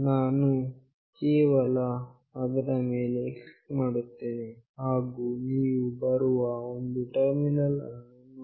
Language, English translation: Kannada, I will just click on that and you can see a terminal is coming